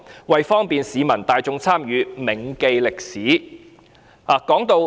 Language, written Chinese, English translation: Cantonese, 為方便市民大眾參與......銘記歷史"。, To facilitate community participation in these activities in remembrance of history